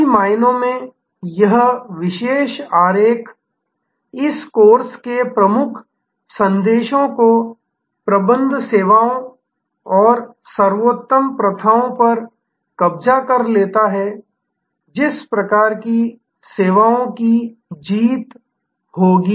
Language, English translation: Hindi, In many ways, this particular diagram captures the key messages of this course on the best practices for managing services and the kind of services that will win